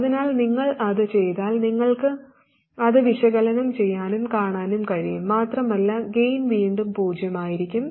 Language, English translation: Malayalam, So if you do that, you can analyze it and see and the gain will again be 0